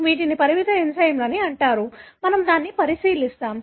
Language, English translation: Telugu, These are called as restriction enzymes, we will look into that